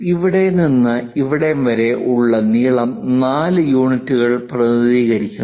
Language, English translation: Malayalam, From here to here whatever length is there that's represented by 4 units